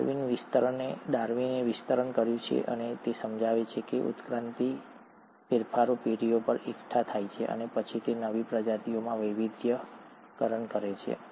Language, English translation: Gujarati, Darwin extended and he explains that these evolutionary changes accumulate over generations and then diversify into a newer species